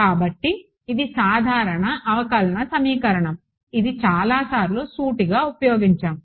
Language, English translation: Telugu, So, this is the sort of a general differential equation which is used many times fairly straight forward